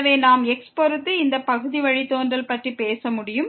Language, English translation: Tamil, So, we can talk about this partial derivative with respect to